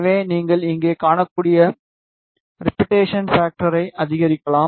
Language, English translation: Tamil, So, you can increase the repetition factor you can see here right